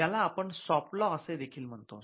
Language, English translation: Marathi, And you have something called the soft law